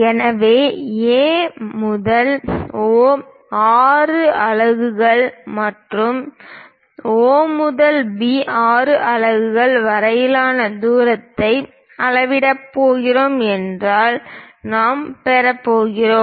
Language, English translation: Tamil, So, if we are going to measure the distance from A to O, 6 units and O to B, 6 units, we are going to get